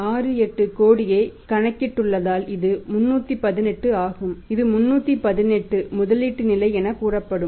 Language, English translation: Tamil, 68 crores this is the one that is 318 the level of investment which will be like say 318